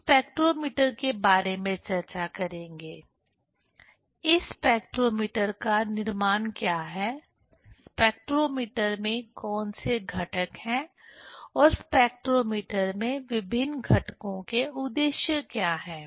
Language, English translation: Hindi, We will discuss about the spectrometer: what is the construction of this spectrometer, what are the components, are there in the spectrometer and what are the purpose of different components in the spectrometer